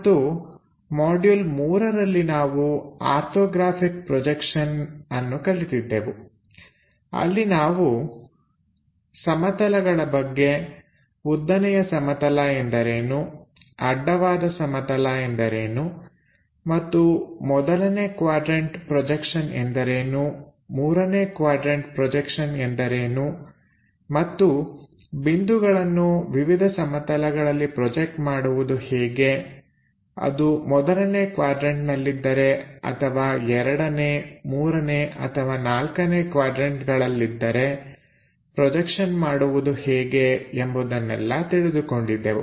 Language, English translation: Kannada, And in the module 3 we have covered orthographic projections I; where we have learnt about planes what is a vertical plane, what is a horizontal plane and what is first quadrant projection, third quadrant projection and how to project points on to different planes if it is on first third or second or fourth kind of quadrants